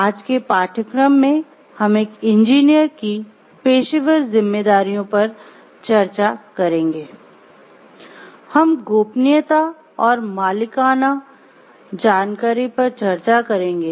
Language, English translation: Hindi, The outline of the course today is like we will discuss about the professional responsibilities of an engineer